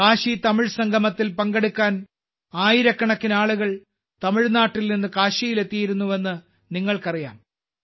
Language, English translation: Malayalam, You know that thousands of people had reached Kashi from Tamil Nadu to participate in the KashiTamil Sangamam